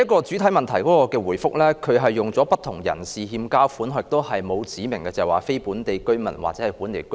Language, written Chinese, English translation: Cantonese, 主體答覆的第一部分，使用的字眼是"不同人士欠交款項"，沒有指明是非本地居民或本地居民。, Part 1 of the main reply uses the wording default payments of different persons instead of specifying whether it refers to non - local or local residents